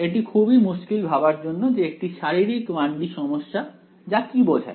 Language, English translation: Bengali, It is very difficult for you to actually think of a physical 1 D problem what is that mean